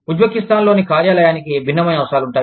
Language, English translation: Telugu, The office in Uzbekistan, will have a different set of needs